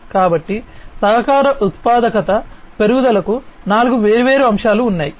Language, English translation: Telugu, So, there are four different aspects of increase in the collaboration productivity